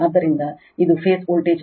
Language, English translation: Kannada, So, it is rms value of the phase voltage